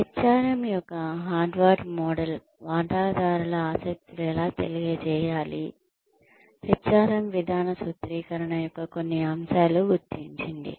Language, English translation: Telugu, Harvard model of HRM recognized, how stakeholder interests could inform, certain areas of HRM policy formulation